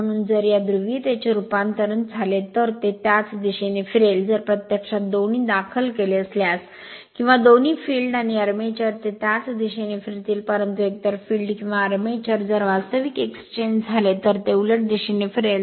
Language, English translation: Marathi, So, if you interchange this polarity also it will rotate in the same direction, if you interchange both filed or both field and armature, it will rotate in the same direction, but either field or armature, if you interchange then it will rotate in the reverse direction right